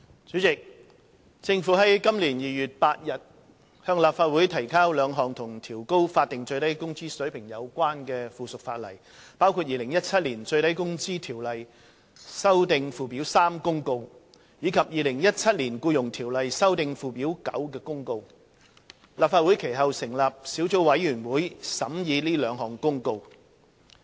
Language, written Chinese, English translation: Cantonese, 主席，政府於今年2月8日向立法會提交了兩項與調高法定最低工資水平有關的附屬法例，包括《2017年最低工資條例公告》及《2017年僱傭條例公告》。立法會其後成立小組委員會審議這兩項公告。, President subsequent to the tabling by the Government of two pieces of subsidiary legislation relating to raising the Statutory Minimum Wage SMW rate namely the Minimum Wage Ordinance Notice 2017 and the Employment Ordinance Notice 2017 before the Legislative Council on 8 February this year a Subcommittee was set up to scrutinize the two Notices